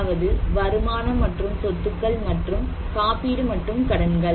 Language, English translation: Tamil, One is the income and assets and insurance and debts